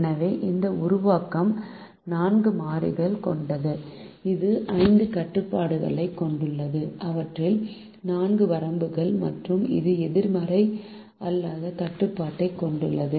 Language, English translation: Tamil, so this formulation has four variables, it has five constraints, four of which are bounds, and it has the non negativity restriction